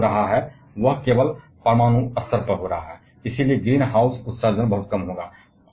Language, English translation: Hindi, Whatever happens that is happening at the atomic level only, and green house emission will therefore, be significantly lesser